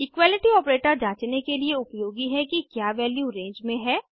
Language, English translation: Hindi, Equality operator is used to check whether a value lies in the range